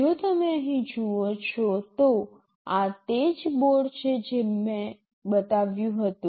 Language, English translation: Gujarati, If you see here this is the same board that I had shown